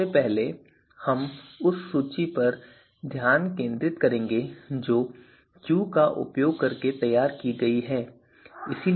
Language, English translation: Hindi, So far, you know first we will focus on the on the list that has been produced using Q